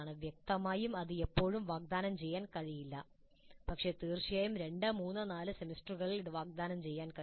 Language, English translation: Malayalam, Obviously this cannot be offered too often but certainly in 2 3 4 semesters this can be offered